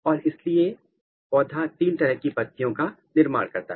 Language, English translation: Hindi, And, that is why this plant makes three types of leaf